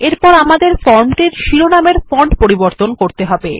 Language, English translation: Bengali, Next, let us change the font of the heading on our form